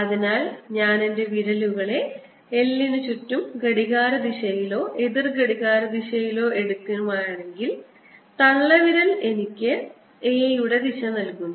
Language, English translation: Malayalam, so if i take my fingers around, l clockwise or counterclockwise thumb gives me the direction of a